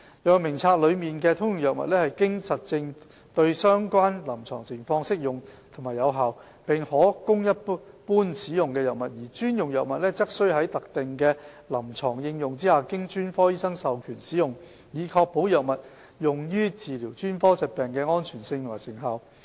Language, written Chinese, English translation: Cantonese, 藥物名冊內的"通用藥物"是經證實對相關臨床情況適用和有效，並可供一般使用的藥物；而"專用藥物"則須在特定的臨床應用下經專科醫生授權使用，以確保藥物用於治療專科疾病的安全性和成效。, In the HADF general drugs are those with well - established indications and effectiveness available for general use as indicated by relevant clinical conditions while special drugs are those used under specific clinical conditions with specific specialist authorization to ensure the safety and efficacy of the drugs used by different specialties